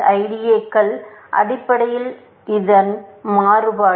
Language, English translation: Tamil, IDAs are basically variation of this